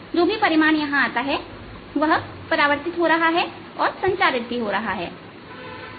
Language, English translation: Hindi, whatever amplitude is coming in is getting reflected and its getting transmitted also